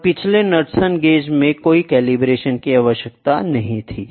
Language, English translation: Hindi, And in the previous one Knudsen gauge there is no calibration required at all